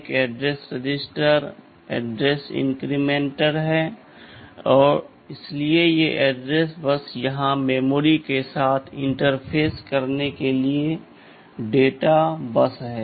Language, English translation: Hindi, There is an address register, address inmcrplementer, so these are the address bus and here is the data bus for interfacing with memory